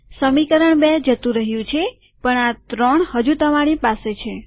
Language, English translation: Gujarati, This equation 2 is gone, but you still have this three